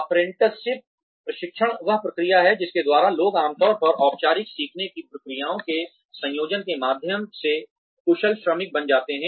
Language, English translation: Hindi, Apprenticeship training, is the process by which people become skilled workers, usually through a combination of, formal learning procedures